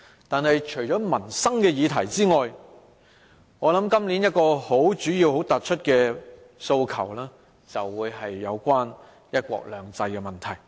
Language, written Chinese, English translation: Cantonese, 但是，除民生議題外，今年主要的訴求是有關"一國兩制"的問題。, In addition to livelihood issues another major aspiration is related to one country two systems